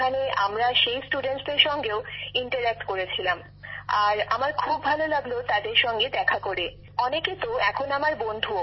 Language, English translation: Bengali, So there we interacted with those students as well and I felt very happy to meet them, many of them are my friends too